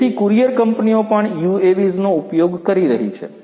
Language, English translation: Gujarati, So, courier companies are also using UAVs